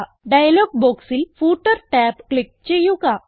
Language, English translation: Malayalam, Now click on the Footer tab in the dialog box